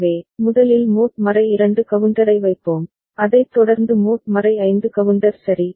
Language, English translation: Tamil, So, we shall place the mod 2 counter first ok, followed by mod 5 counter ok